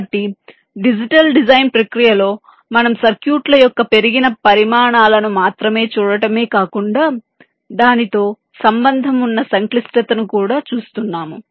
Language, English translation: Telugu, ok, so in the digital design process we are not only looking at the increased sizes of this circuits but also the associated complexity involved